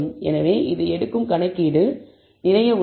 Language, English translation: Tamil, So, it is quite a lot of computation that it takes